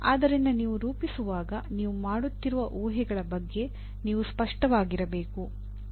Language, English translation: Kannada, So when you are formulating, you have to be clear about what the assumptions that you are making